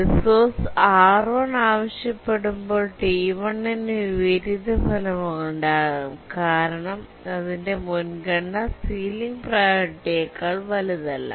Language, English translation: Malayalam, And even T1 can suffer inversion when it requests resource R1 because its priority is not greater than the ceiling priority